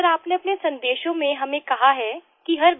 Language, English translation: Hindi, Sir, in your messages you have told us that every